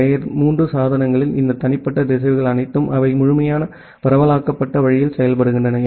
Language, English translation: Tamil, Because all these individual routers at the layer 3 devices, they work in a complete decentralized way